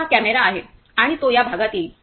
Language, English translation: Marathi, So, this is the camera and it will come in this part